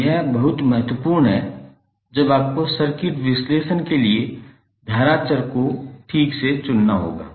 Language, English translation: Hindi, So this is very important when you have to choice the current variables for circuit analysis properly